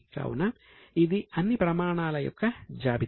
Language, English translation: Telugu, So, this is the list of all the standards